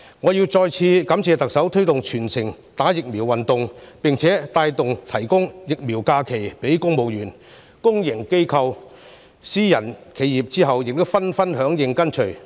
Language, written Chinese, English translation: Cantonese, 我要再次感謝特首推動全城接種疫苗運動，並起帶頭作用，提供疫苗假期予公務員，公營機構、私人企業其後亦紛紛響應跟隨。, I would like to thank the Chief Executive once again for launching the Early Vaccination for All campaign and taking the lead in providing vaccination leave to civil servants . Since then many public organizations and private companies have followed suit